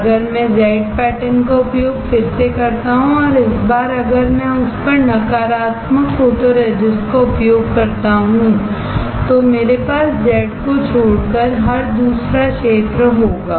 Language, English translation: Hindi, If I use Z pattern again and this time if I use negative photoresist on it, then I would have every other area except Z exposed